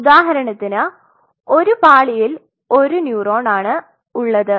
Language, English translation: Malayalam, So, for example, in one layer one neuron